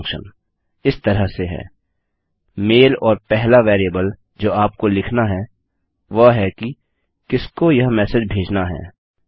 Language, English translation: Hindi, The mail function is as follows mail and the first variable you need to include is who this message is to